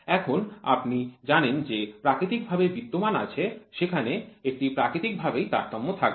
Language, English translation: Bengali, Now, you know there is natural existing there is a natural variability will be there